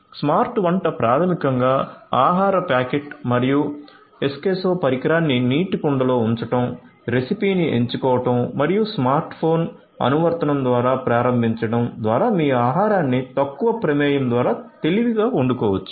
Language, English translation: Telugu, Smart cooking basically helps by placing the food packet and Eskesso device in a pot of water, selecting the recipe and starting via smart phone app you can get your food cooked in a smarter way through minimal involvement